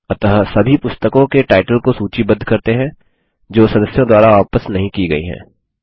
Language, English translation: Hindi, So let us list all the book titles that are due to be returned by the members